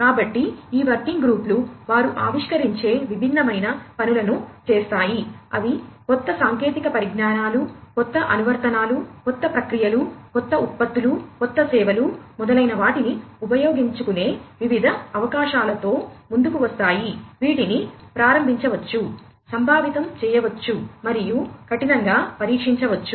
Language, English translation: Telugu, So, these working groups do different things they innovate, they come up with different opportunities of the use of new technologies, new applications, new processes, new products, new services, etcetera, which could be initiated, conceptualized, and could be rigorously tested, in the different testbeds that I just talked about a while back